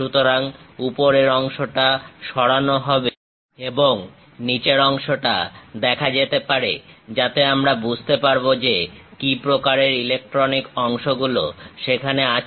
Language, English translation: Bengali, So, the top part will be removed and bottom part can be visualized, so that we will understand what kind of electronic components are present